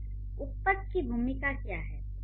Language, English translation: Hindi, So, what do the adjectives do